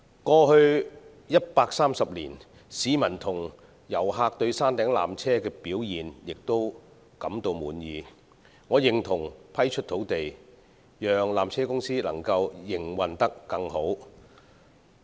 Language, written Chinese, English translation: Cantonese, 過去130年，市民與遊客對山頂纜車的表現均感到滿意，所以我認同批出土地，讓纜車公司營運得更加理想。, In the past 130 years both locals and tourists have considered the performance of the peak tramway satisfactory and I therefore support the proposal of granting additional land to PTC with a view to improving its operations and services